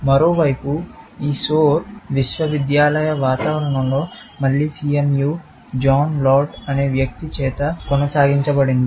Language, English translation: Telugu, This Soar, on the other hand, was continued in the university environment, again CMU, by a guy called John Laird